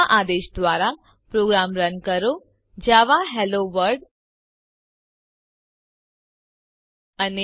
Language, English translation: Gujarati, Now, run the program using the command java HelloWorld and